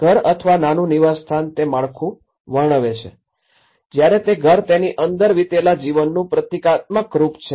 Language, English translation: Gujarati, The house or a small dwelling describes the structure whereas, the home is symbolic of the life spent within it